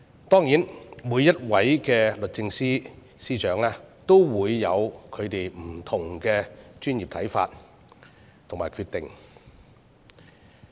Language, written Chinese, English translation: Cantonese, 當然，每一位律政司司長也有不同的專業判斷和決定。, Of course every Secretary for Justice has different professional judgments and decisions